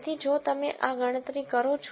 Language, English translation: Gujarati, So, if you do this calculation